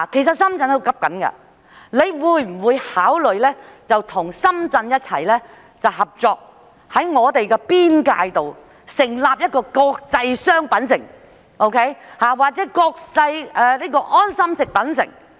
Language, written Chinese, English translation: Cantonese, 局長會否考慮與深圳合作，在兩地邊界建設"國際商品城"或"國際安心食品城"？, Will the Secretary consider working in collaboration with Shenzhen to develop an international shopping centre or international quality food centre on the border?